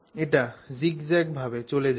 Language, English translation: Bengali, It goes zigzag, zigzag like that